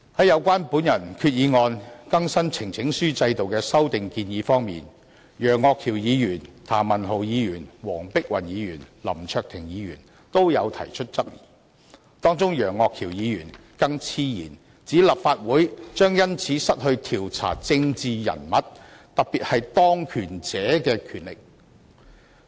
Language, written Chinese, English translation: Cantonese, 有關我的擬議決議案中更新呈請書制度的修訂建議，楊岳橋議員、譚文豪議員、黃碧雲議員及林卓廷議員均提出質疑，當中楊岳橋議員更妄言立法會將因此失去調查政治人物，特別是當權者的權力。, Mr Alvin YEUNG Mr Jeremy TAM Dr Helena WONG and Mr LAM Cheuk - ting raised queries about the proposed amendments to update the petition system as set out in my proposed resolution . Mr Alvin YEUNG even absurdly argued that the Council would as a result of the amendments lose its power to investigate political figures especially those in power